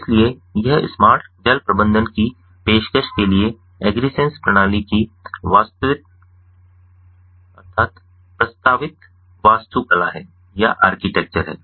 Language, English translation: Hindi, so this is the proposed architecture of the agrisens system for offering smart water management